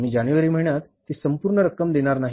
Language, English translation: Marathi, We are not going to pay that whole amount in the month of January